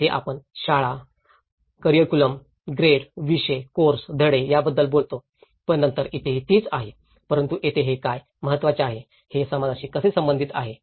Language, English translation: Marathi, Here, we talk about the schools, curriculum, grade, subjects, courses, lessons but then here also the same thing but here, what it is very important, how are they relevant to the society